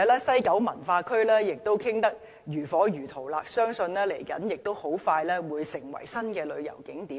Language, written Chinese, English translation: Cantonese, 西九文化區的討論亦進行得如火如荼，相信很快會成為新的旅遊景點。, Furthermore there have been enthusiastic discussions on developing the West Kowloon Cultural District which will soon become a new tourist attraction